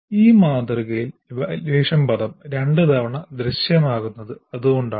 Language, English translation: Malayalam, So that is why evaluate word appears twice in this model